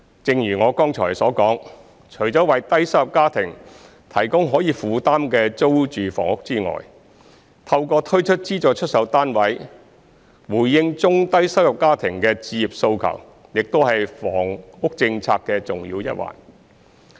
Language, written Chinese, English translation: Cantonese, 正如我剛才所說，除了為低收入家庭提供可以負擔的租住房屋外，透過推出資助出售單位回應中低收入家庭的置業訴求亦是房屋政策的重要一環。, As I said just now apart from providing affordable rental housing for low - income families an important part of the housing policy is to address the home ownership aspirations of low - and middle - income families through the introduction of subsidized sale flats